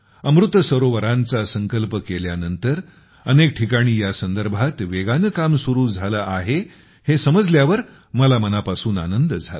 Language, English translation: Marathi, By the way, I like to learnthat after taking the resolve of Amrit Sarovar, work has started on it at many places at a rapid pace